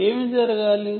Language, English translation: Telugu, what should happen